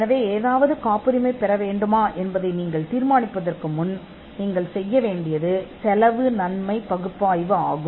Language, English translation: Tamil, So, there is a cost benefit analysis you need to do before you decide whether something should be patented